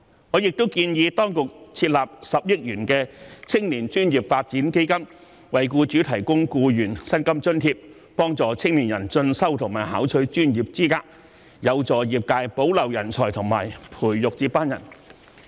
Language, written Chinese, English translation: Cantonese, 我亦建議當局設立10億元的青年專業發展基金，為僱主提供僱員薪金津貼，幫助青年人進修和考取專業資格，有助業界保留人才和培育接班人。, I also suggest that the authorities establish a 1 billion youth professional development fund to provide employers with salary subsidies for employees and assist young people in pursuing further studies and acquiring professional qualifications which will help industries retain talent and nurture successors